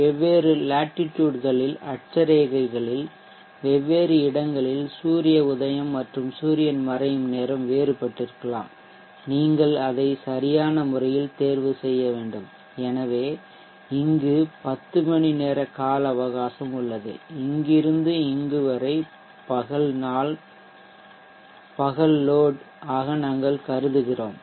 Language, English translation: Tamil, of course at different latitudes different places sunrise to sunset can be different, you should appropriately choose that, so we have here a 10 hour period which we consider as day load from here to here